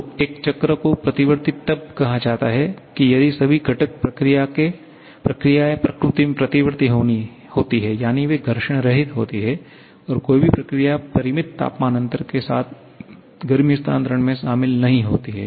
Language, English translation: Hindi, So, a cycle is called a reversible if all the constituent processes are reversible in nature that is, they are frictionless and none of the processes involved heat transfer with finite temperature difference